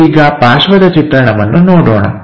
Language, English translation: Kannada, Now, let us look at side view